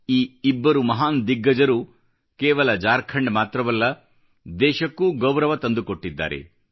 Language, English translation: Kannada, These two distinguished personalities brought glory &honour not just to Jharkhand, but the entire country